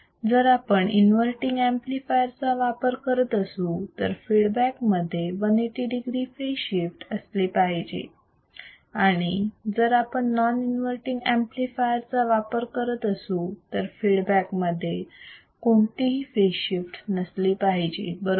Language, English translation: Marathi, So, if we are using an inverting amplifier, feedback should introduce 180 degree phase shift; if we are using a non non inverting amplifier, feedback should not introduce any phase shift right